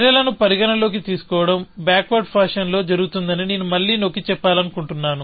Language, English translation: Telugu, I want to emphasize again, that considering of actions is done in a backward fashion